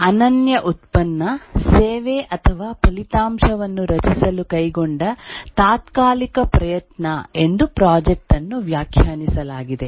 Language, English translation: Kannada, The project is defined as a temporary endeavor undertaken to create a unique product service or result